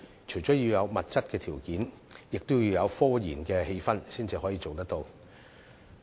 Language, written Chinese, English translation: Cantonese, 除了要有物質條件，亦要有科研的氣氛，才可以做得到。, To this end apart from meeting their materialistic needs an atmosphere for such research is also necessary